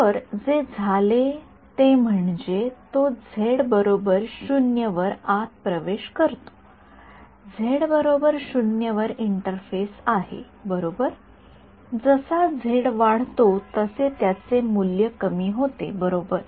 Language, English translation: Marathi, So, what has happened is that it’s entered inside at z equal to 0 is the interface right at z equal to 0 is entered now as z increases its value decreases right